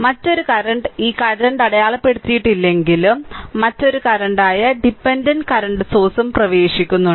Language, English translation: Malayalam, Then another current although not marked right this current is entering then another current is dependent source current also entering